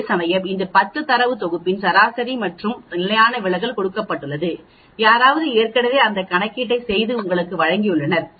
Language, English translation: Tamil, Whereas here the average and standard deviation of this 10 data set is given that means somebody has already done that calculation and given you